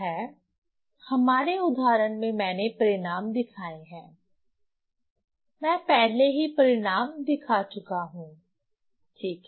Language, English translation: Hindi, So, so in our example I have shown the results, I have shown the results beforehand, right